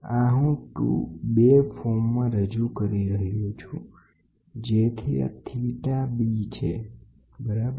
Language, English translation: Gujarati, This is I am representing in the 2 form so, that this is theta b, this is theta b, ok